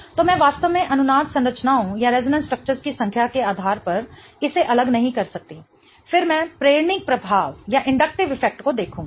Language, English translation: Hindi, So, I really cannot differentiate it based on the number of resonant structures as well